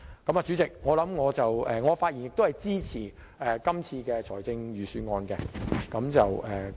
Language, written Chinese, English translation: Cantonese, 代理主席，我發言支持今次的預算案。, Deputy Chairman I speak to support this Budget